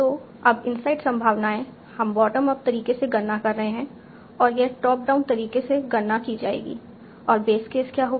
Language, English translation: Hindi, So now the inside probabilities we are computing bottom up and this will be computed top down